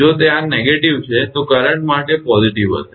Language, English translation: Gujarati, If it this is negative then for current it will be positive